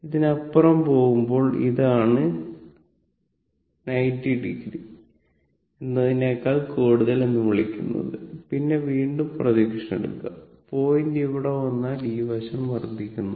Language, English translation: Malayalam, Now now when you are going beyond this, that is theta you are what you call more than your a 90 degree, then again you take the projection, if the point will come here theta is increasing this side this theta is increasing